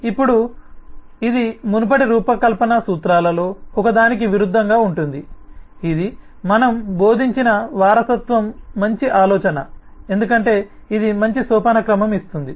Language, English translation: Telugu, now, of course, this will contradict one of the earlier design principles that we have been preaching is: inheritance is a good idea because it gives such a good hierarchy